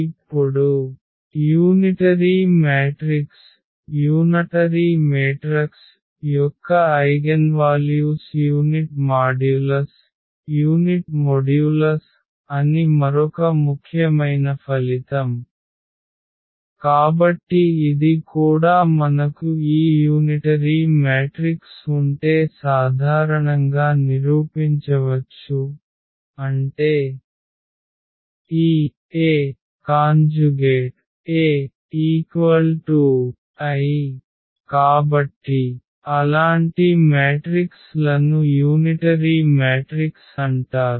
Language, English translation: Telugu, Now, another important result that the eigenvalues of unitary matrix are of unit modulus, so this also we can prove in general that if you have this unitary matrix; that means, this A star A is equal to is equal to identity matrix, so such matrices are called the unitary matrix